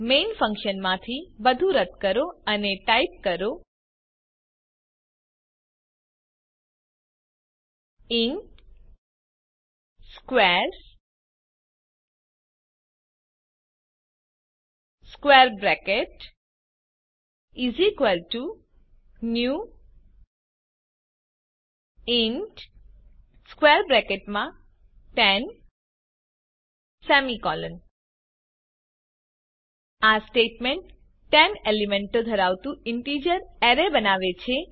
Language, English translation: Gujarati, Remove everything in main function and type int squares [] = new int [10] This statement creates an array of integers having 10 elements